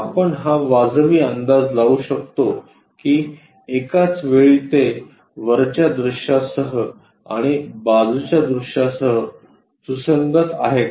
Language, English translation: Marathi, Can we reasonably guess is that consistent with top view at the same time is it consistent with the side view